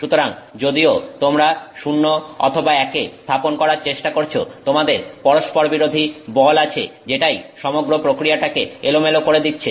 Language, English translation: Bengali, So, even though you are trying to set zeros and ones, you have conflicting forces which are trying to, you know, randomize the whole process